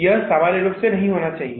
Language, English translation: Hindi, This should not happen normally